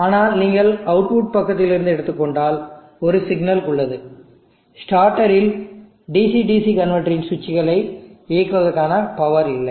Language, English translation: Tamil, But if you are taking from the output side then there is one problem at starter there is no power for switching on the switches of the DC DC converter